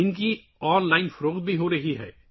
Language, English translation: Urdu, They are also being sold online